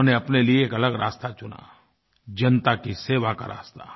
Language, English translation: Hindi, He chose a different path for himself a path of serving the people